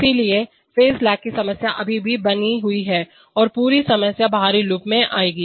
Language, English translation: Hindi, So therefore, the problem of loop phase still remains and the whole problem will come in the outer loop